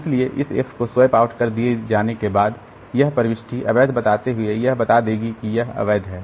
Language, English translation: Hindi, So, after this F has been swapped out, so this entry will turn to invalid telling that this is invalid